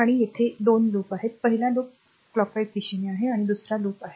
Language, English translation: Marathi, And there are 2 loop, this is loop 1 clockwise direction we have taken and this is another loop 2, right